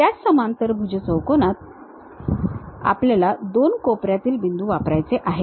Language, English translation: Marathi, In the same parallelogram we would like to use 2 corner points